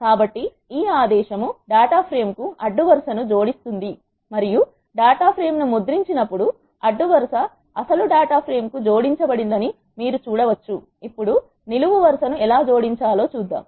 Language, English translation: Telugu, So, this command adds the row to the data frame and when you print the data frame you can see that row has been added to the original data frame